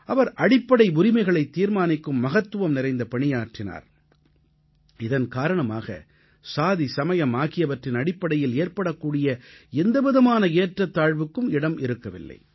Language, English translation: Tamil, He strove to ensure enshrinement of fundamental rights that obliterated any possibility of discrimination on the basis of caste and community